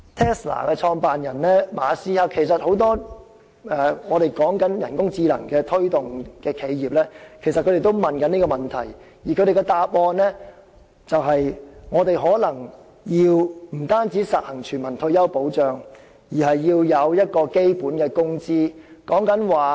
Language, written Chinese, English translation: Cantonese, Tesla 的創辦人馬斯克以至很多推動人工智能企業的人士皆曾就此情況提出質疑，而他們的答案是我們可能不僅要實行全民退休保障，還要制訂基本工資。, Questions have been raised in this respect by Elon MUSK the founder of Tesla and many others who promote the development of artificial intelligence technology enterprises and the answer is that apart from implementing universal retirement protection we should perhaps lay down the level of basic salary too